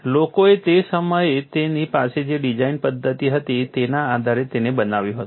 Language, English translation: Gujarati, People built it based on what were the design methodologies that they had at that point in time